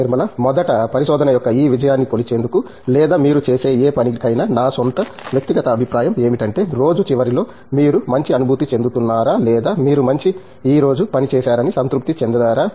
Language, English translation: Telugu, First, my own personal opinion on measuring this success of research or any work that you do is, whether the end of the day you feel good and satisfied that you have done a good days work